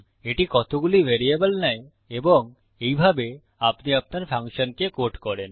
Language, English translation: Bengali, How many variables it takes and this is how you code your function So, lets test that